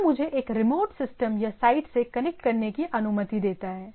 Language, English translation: Hindi, So, that which allows me which allows us to connect to a remote system or site